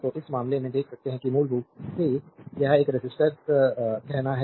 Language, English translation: Hindi, So, in this case you can see that power your basically it is a resistor say